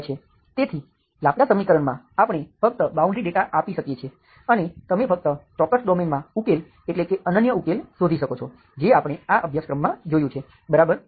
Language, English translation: Gujarati, So Laplace equation we can only provide the boundary data and you could find, you can find the solutions, unique solutions only in certain domain that we have seen in this course, okay